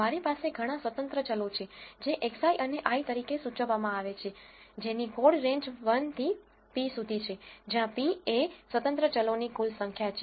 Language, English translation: Gujarati, I have several independent variables which are denoted by x i and i code ranges from 1 to p, where p is the total number of independent variables